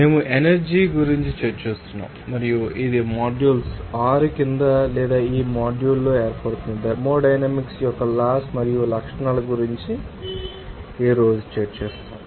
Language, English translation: Telugu, We are discussing about energy and it forms under module 6 or in this module, we will discuss today about the laws and properties of thermodynamics